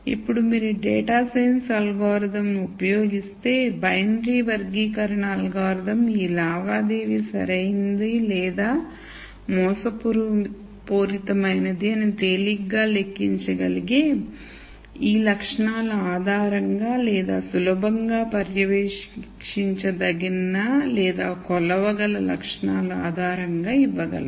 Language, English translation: Telugu, Now, if you use a data science algorithm a binary classification algorithm to be able to give the likelihood of a transaction being correct or fraudulent based on this easily calculatable attributes or easily monitorable or measurable attributes